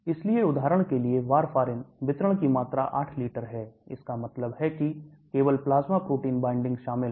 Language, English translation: Hindi, So for example warfarin, the volume of distribution is 8 liters that means there is only plasma protein binding involved